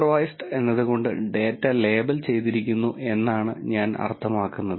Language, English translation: Malayalam, By supervised I mean that the data is labelled